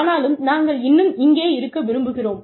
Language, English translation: Tamil, But, we are still here